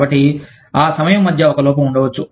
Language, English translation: Telugu, So, there could be a lapse, between that time